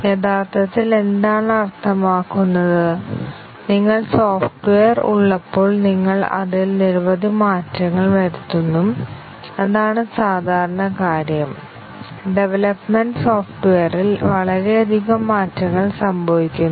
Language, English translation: Malayalam, What it really means is that, when you have software, you make numerous changes to it; that is the normal thing; that has the development undergoes lot of changes happen to the software